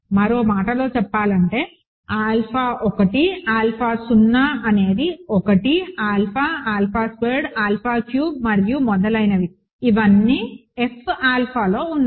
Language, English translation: Telugu, In other words, I consider alpha 1, alpha power 0 is 1, alpha, alpha squared alpha cubed and so on, right these are all in F alpha